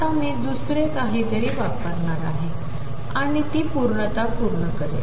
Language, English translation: Marathi, Now, I am going to use something else and that is completeness